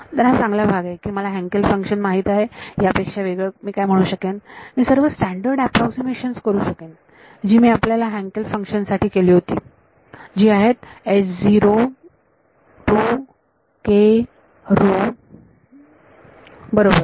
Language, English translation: Marathi, So, the good part is I know the Hankel function further what else can I say, I can make all the standard approximations that I had done for your Hankel function which is what that H naught 2 k rho right